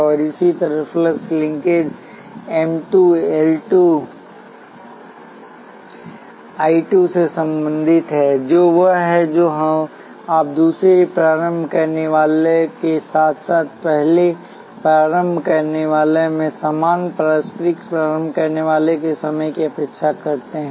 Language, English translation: Hindi, And similarly the flux linkage M 2 is related to L 2 I 2, which is what you expect given the second inductor plus the same mutual inductor times the current in the first inductor